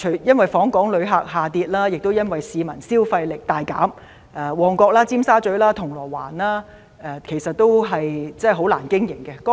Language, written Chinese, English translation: Cantonese, 因為訪港旅客人數下跌，亦因為市民消費力大減，旺角、尖沙咀、銅鑼灣的商店都難以經營。, The drop in inbound tourists and the weakening of local spending power have made shops in Mong Kok Tsim Sha Tsui and Causeway Bay very hard to survive